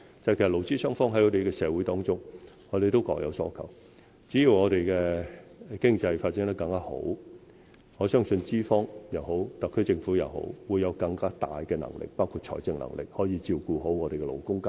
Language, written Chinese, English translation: Cantonese, 其實，勞資雙方在社會上各有所求，只要我們的經濟有更好的發展，相信不論是特區政府，抑或是資方，均會有更大的能力，包括財政能力，照顧好勞工階層。, As a matter of fact employers and employees have their own demands in society . So long as we can achieve better economic development I believe that both the SAR Government and employers will have greater abilities including financial capability to take good care of the working class